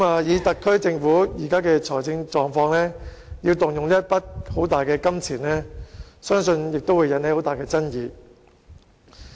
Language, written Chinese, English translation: Cantonese, 以特區政府現時的財政狀況，要動用一筆龐大的金錢，相信亦會引起很大的爭議。, Given the current fiscal conditions of the Government I believe a great controversy will arise should an enormous sum of money be spent